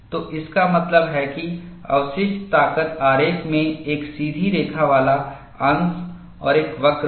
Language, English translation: Hindi, So, that means, the residual strength diagram, will have a straight line portion plus a curve